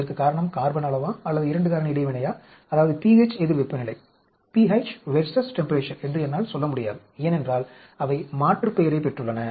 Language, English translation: Tamil, I cannot say whether it is because of the carbon amount or because of the 2 factor interaction that is temperature versus p h, because they are aliased